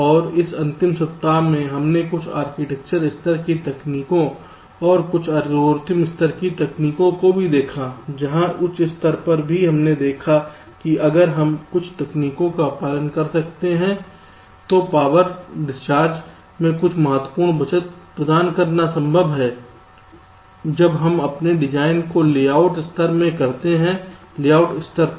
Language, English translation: Hindi, and in this last week we looked at some architecture level techniques and also some algorithmic level techniques where, even at the higher level, you have seen, if we we can follow some techniques, it is possible to provide some significant saving in power dissipation when we finally synthesis our design into the layout level up to the layout level